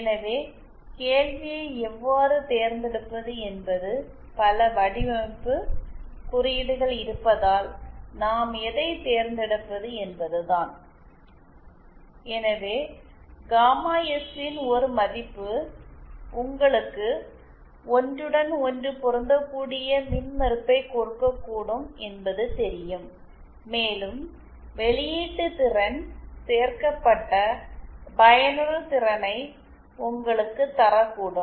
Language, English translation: Tamil, So how to select question is how to what should we select because there are so many design codes so you know one value of gamma S might give you impedance matching one another value might give you output power added efficiency